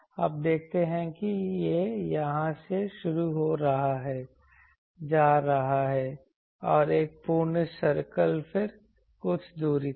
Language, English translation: Hindi, You see that it is starting from here going and one full circle then up to some distance